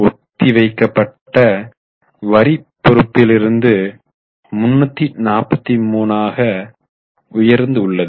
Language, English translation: Tamil, If you look at the deferred tax liability, it has increased from 0 to 343